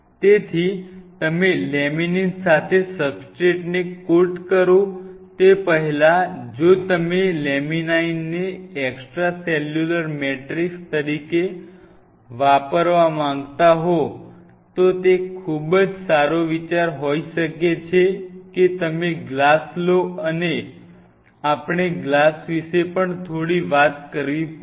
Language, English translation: Gujarati, So, many a times before you coat the substrate with laminin if you want to use laminin as the extracellular matrix, it may be a very fair idea that you take the glass and by the way we have to talk a little bit about the glass also